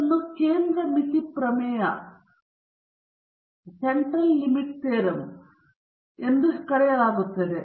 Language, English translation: Kannada, This is termed as the Central Limit Theorem